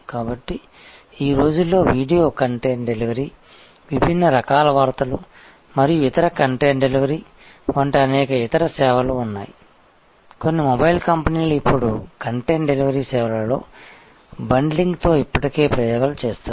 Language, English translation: Telugu, So, now a days there are many other services like video content delivery, different kind of news and other content delivery, some of the mobile companies are now already experimenting with a bundling in content delivery services